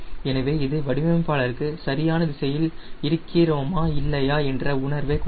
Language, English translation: Tamil, so that also give the designer a fail, whether he is right direction or not